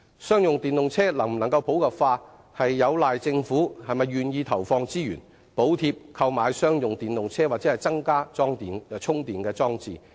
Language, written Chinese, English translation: Cantonese, 商用電動車能否普及，端賴政府是否願意投放資源，補貼購買商用電動車及增加充電裝置。, The popularization of electric commercial vehicles hinges on the Governments willingness to put in resources to subsidize the purchase of electric commercial vehicles and the installation of charging facilities